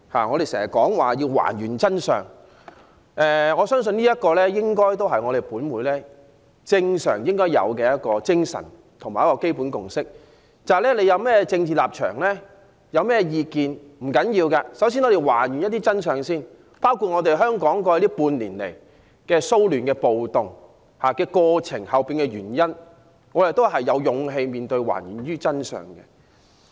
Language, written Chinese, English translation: Cantonese, 我們常說要還原真相，相信這也是本會應有的精神和基本共識，無論有甚麼政治立場和意見也沒關係，首先要還原真相，包括香港過去半年的騷亂和暴動的背後原因，我們亦應有勇氣面對，還原真相。, We often say that there is a need to find out the truth and I think this is also the basic consensus of in this Council . No matter what political stance and opinions we have we should first try to find out the truth including the reasons behind the disturbances and riots that took place in Hong Kong over the past six months . This is also the truth we have to face and find out with courage